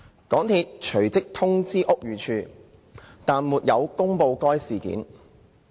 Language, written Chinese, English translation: Cantonese, 港鐵隨即通知屋宇署但沒有公布該事件。, MTRCL had forthwith informed the Buildings Department BD but had not made public the incident